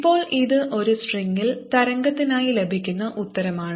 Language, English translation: Malayalam, now this is the answer that we get for ah wave on a string